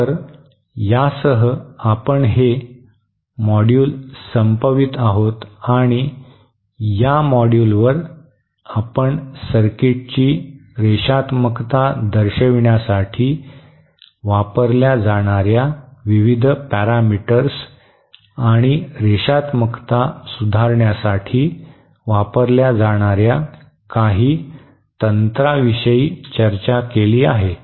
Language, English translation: Marathi, So, so with this we come to end and to this module, in this module we have discussed about the various parameters used to characterise the linearity of a circuit and some of the techniques used to improve the linearity